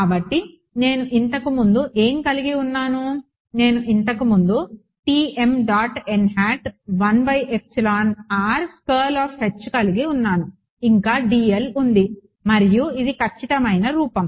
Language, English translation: Telugu, So, what did I have earlier I had Tm dot n hat 1 by epsilon r curl of H what else d l this is what I had earlier and this is the exact form